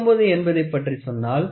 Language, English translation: Tamil, When we talk about 49 it ranges from 1